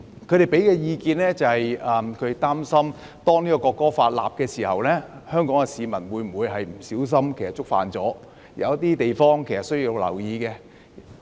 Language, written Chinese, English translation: Cantonese, 有議員表示擔心制定《條例草案》後，香港市民會不小心觸犯法例，並指出有些地方是需要留意的。, Some Members were concerned about Hong Kong people inadvertently contravening the law after the Bill is passed and they pointed out that some areas would warrant attention